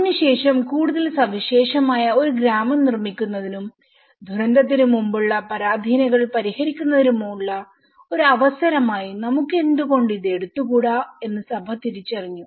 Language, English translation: Malayalam, So, after that, the church have realized that why not we take this as an opportunity to build a more special village and to also address the pre disaster vulnerabilities